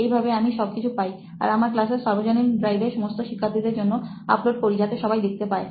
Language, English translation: Bengali, And I upload it in the drive, common drive for all the class members so that everybody could see it